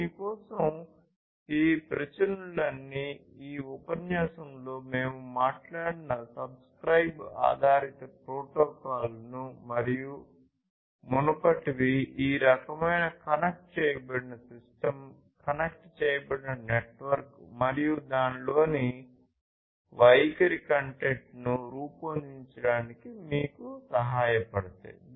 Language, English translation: Telugu, And for this, all these protocols these publish, subscribe based protocols that we have talked about in this lecture and the previous one these will help you to build this kind of connected system, connected network, and the behaviors content within it